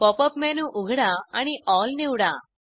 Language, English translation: Marathi, Open the Pop up menu, select Style